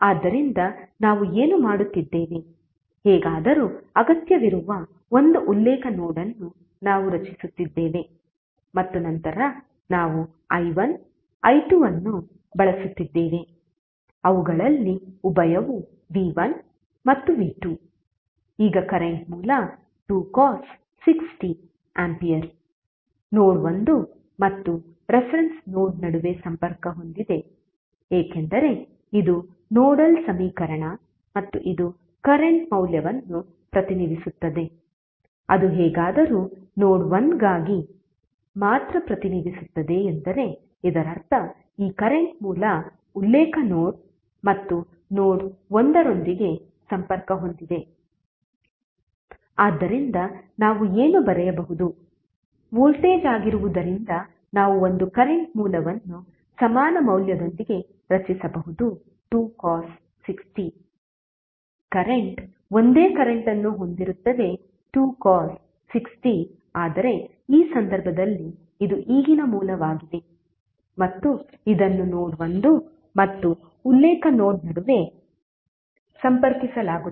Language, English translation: Kannada, So what we are doing, we are creating one reference node that is anyway required and then since we are using i1 i2 the dual of them would be v1 and v2, now if you see equation 3 it indicates that the current source of 2 cos 6t ampere is connected between node 1 and reference node because this is nodal equation and this representing the current value which is anyway representing for only for node 1 it means that this current source is connected with the reference node and the node1, so what we can write we can create one current source with equal value because voltage is 2 cos 6t, current will also be having the same magnitude that is 2 cos 6t but in this case this is now current source and this will be connected between node 1 and the reference node